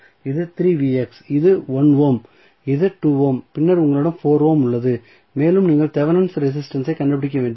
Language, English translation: Tamil, So, this is 3 Vx this is 1 ohm this is 2 ohm and then you have 4 ohm and you need to find out the Thevenin resistance